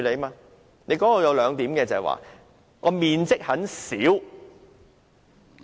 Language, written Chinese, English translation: Cantonese, 答覆中有兩點，即"面積很小"......, There are two points in the reply namely the area is minimal